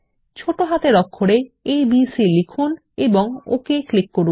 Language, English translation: Bengali, Enter abc in small case in it and click OK